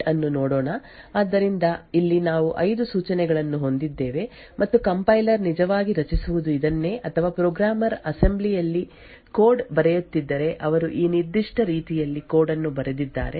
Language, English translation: Kannada, so here we have like there are 5 instructions and this is what the compiler would have actually generated or if a programmer is writing code in assembly he would have written code in this particular way